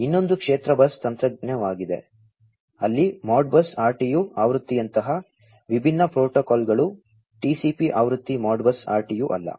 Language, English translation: Kannada, The other one is the field bus technology, where different protocols such as the Modbus RTU version, not the TCP version Modbus RTU